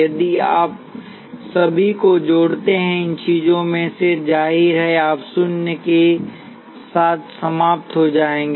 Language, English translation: Hindi, If you sum up all of these things; obviously, you will end up with zero